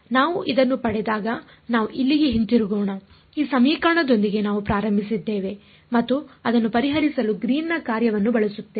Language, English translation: Kannada, When we derived this let us go back over here we started with this equation and use the Green's function to solve it